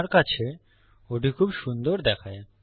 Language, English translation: Bengali, To me that looks a lot neater